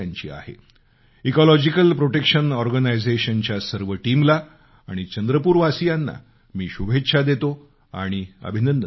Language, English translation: Marathi, I congratulate Ecological Protection Organization, their entire team and the people of Chandrapur